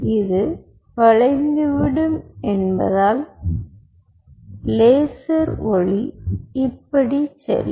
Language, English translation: Tamil, as this will bend, the laser light will go like this and it will bounce